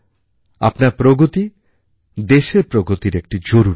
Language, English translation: Bengali, Your progress is a vital part of the country's progress